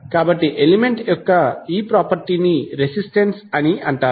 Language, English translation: Telugu, So, that property of that element is called resistance